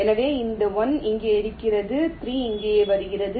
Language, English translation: Tamil, so this one comes here, three comes here